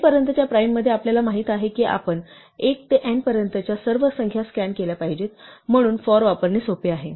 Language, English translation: Marathi, In primes up to n, we know that we must scan all the numbers from 1 to n, so it is easy to use the 'for'